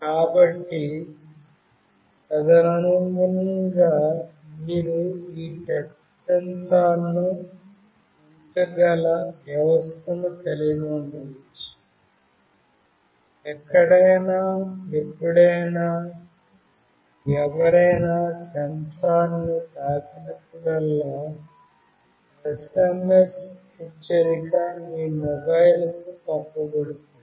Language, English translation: Telugu, So, accordingly you can have a system where you can put this touch sensor along with the application where whenever somebody touches the sensor an SMS alert will be sent to your mobile